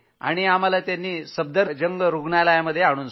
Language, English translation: Marathi, We went to Safdarjung Hospital, Delhi